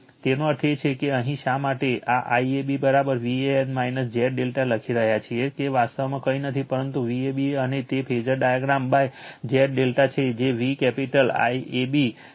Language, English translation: Gujarati, So, that means, here that is why you are writing this one IAB is equal to V an minus Z delta s nd that is actually nothing, but V ab we got it the phasor diagram by Z delta that is V capital AB upon Z delta